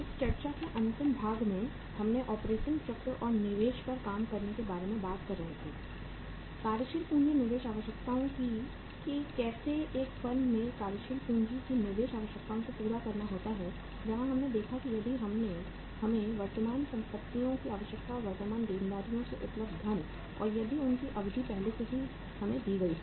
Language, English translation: Hindi, So in the last part of discussion we were talking about the uh operating cycle and the working out the investment, working capital investment requirements that how to work out the uh investment requirements of the working capital in a firm where we saw that uh if we are given the say requirement of the current assets and the funds available from the current liabilities and if their duration is already given to us